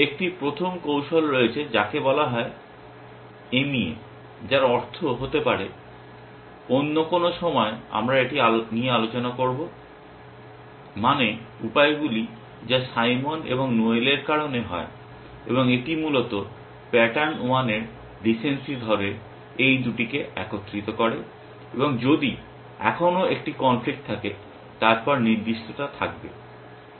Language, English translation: Bengali, There is a first strategy which is called mea, which stands for may be at some point we will a discuss this, means ends which is due to a Simon and Noel and it essentially combines these two by saying recency of pattern one and if there is still a conflict then specificity